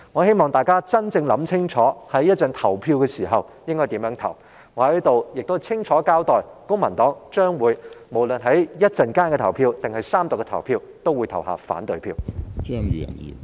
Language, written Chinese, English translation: Cantonese, 希望大家考慮清楚稍後的投票意向，而我亦要在此清楚交代，不論是稍後的表決還是在三讀階段，公民黨均會投下反對票。, I would also like to state clearly that the Civic Party will vote against the Budget in the voting to be held later as well as during the Third Reading stage